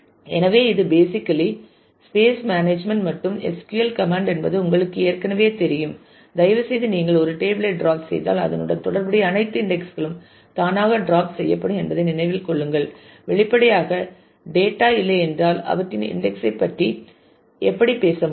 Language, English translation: Tamil, So, this is basically the space management and SQL command for this you already know now please keep in mind that if you drop a table then all associated indexes are automatically dropped because; obviously, if the data is not there then how about their index